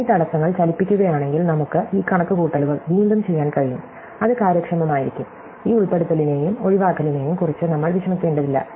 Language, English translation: Malayalam, And if we move these obstructions around, we can redo these calculations, it will be as efficient, we do not have to worry about this inclusion and exclusion